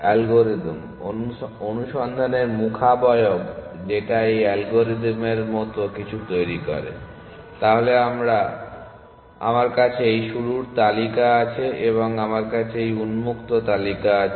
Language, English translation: Bengali, So, the algorithm the search face that this algorithm generates something like this, so I have this start list and i have this open list